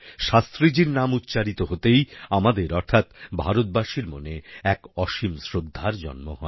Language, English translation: Bengali, The very name of Shastriji evokes a feeling of eternal faith in the hearts of us, Indians